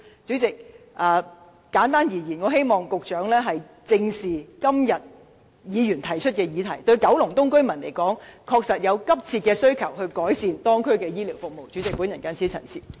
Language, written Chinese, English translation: Cantonese, 主席，簡單而言，我希望局長正視今天議員提出的議題，九龍東居民確實對改善當區的醫療服務有急切的需求。, President simply put I hope the Secretary will face up to the issues raised by Members today . Residents of Kowloon East do have an urgent demand for improvement of healthcare services in the district